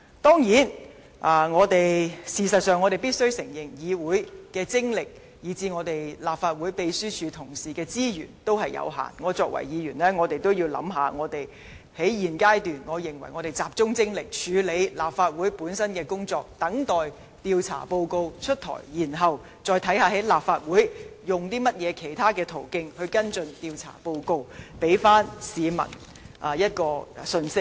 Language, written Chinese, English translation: Cantonese, 當然，事實上，我們必須承認議會的精力以至立法會秘書處同事的資源有限，身為議員，在現階段，我認為我們應集中精力處理立法會本身的工作，等待調查報告公布，再看看在立法會用甚麼其他途徑跟進調查報告，給予市民信息。, We have to admit that the energy of our Members and the resources of the Legislative Council Secretariat are limited . As a Member of the Council I believe we should focus our energy on the duties of the legislature and wait for the release of the investigation reports . Then we will see how we should follow up the reports through other means and send a message to the public